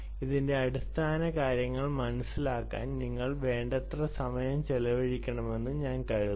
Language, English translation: Malayalam, i think you must spend enough time in understanding the philosophy of this